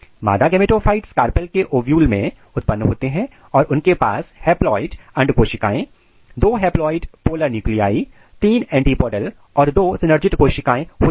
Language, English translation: Hindi, Female gametophyte is produced within ovules of the carpel and contains haploid egg cell, two haploid polar nuclei, three antipodal and two synergid cell